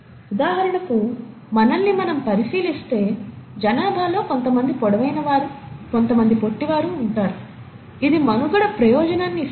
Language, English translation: Telugu, So for example, if we look at ourselves, we would find within the population, some people are tall, some people are shorter, does it provide a survival advantage